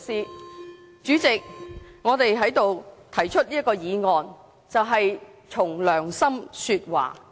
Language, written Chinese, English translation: Cantonese, 代理主席，我在此提出這項議案，便是憑良心說話。, Deputy President I am speaking with a good conscience by proposing this motion in the Council